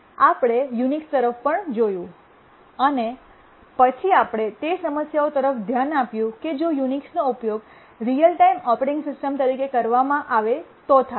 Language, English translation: Gujarati, We looked at Unix and then we looked at what problems may occur if Unix is used as a real time operating system